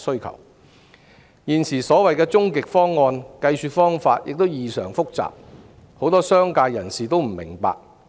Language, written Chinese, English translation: Cantonese, 現時所謂"終極方案"的計算方法異常複雜，很多商界人士也不明白。, The current so - called ultimate option has an exceedingly complicated calculation method which many members of the business sector cannot comprehend